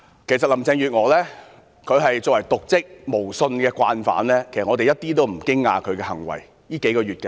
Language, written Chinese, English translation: Cantonese, 其實林鄭月娥作為瀆職無信的慣犯，她這數個月的行為我們一點也不驚訝。, In fact as a habitual offender engaging in dereliction of duty with no integrity Carrie LAMs acts over the past few months have come as no surprise to us